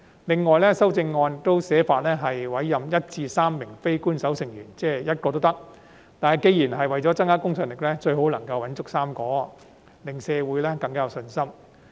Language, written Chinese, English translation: Cantonese, 另外，修正案訂明委任1至3名非官守成員，即是1名也可以，但既然是為了增加公信力，最好能找夠3名，令社會更有信心。, Moreover the amendment provides for the appointment of one to three non - official members which means appointing only one member is also fine . However since it serves to enhance the credibility it is more preferable to appoint three members so as to increase public confidence